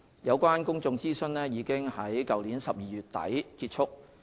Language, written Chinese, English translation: Cantonese, 有關公眾諮詢已於去年12月底結束。, The public consultation period ended in late December last year